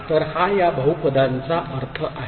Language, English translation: Marathi, So, this is the meaning of this polynomial